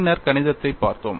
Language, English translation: Tamil, Then we looked at the mathematics